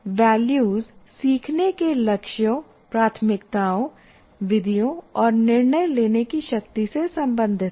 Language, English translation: Hindi, Now the values refer to learning goals, priorities, methods, and who has the power in making decisions